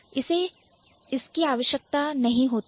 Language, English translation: Hindi, They didn't require, they don't need it